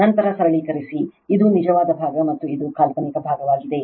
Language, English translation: Kannada, Then you simplify you will get this is the real part and this is the imaginary part